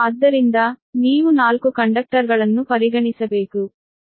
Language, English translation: Kannada, so you have to consider the four conductors